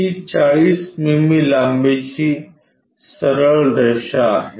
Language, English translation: Marathi, Its a straight line of 40 mm length